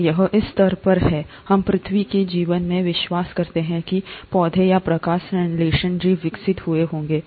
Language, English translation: Hindi, And it's at this stage, we believe in earth’s life that the plants or the photosynthetic organisms must have evolved